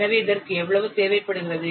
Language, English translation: Tamil, This is coming to be how much